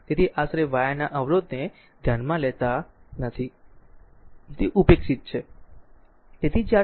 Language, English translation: Gujarati, So, approximately we are not considering the resistance of the wire it is neglected